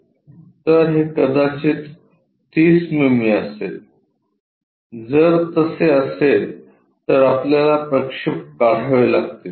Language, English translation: Marathi, So, this might be 30 mm if that is the case we have to draw projections